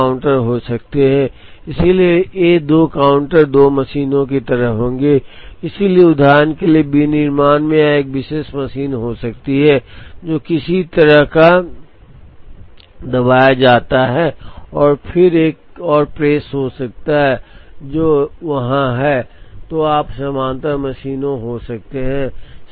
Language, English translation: Hindi, So, there could be 2 counters, so these 2 counters would be like 2 machines, so in manufacturing for example, this could be a particular machine, which is some kind of a pressed and then there could be another press, which is there, so you could have parallel machines